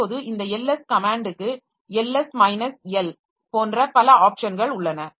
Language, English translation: Tamil, Now this LS command it has got a number of options like Ls minus L